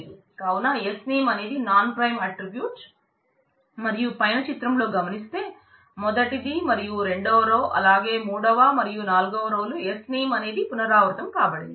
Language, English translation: Telugu, So, Sname is actually a nonprime attribute and the result of that as you can see in the first two rows or in the third and fourth row you can see that Sname is repeated